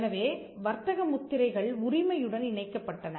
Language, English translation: Tamil, So, trademarks were tied to ownership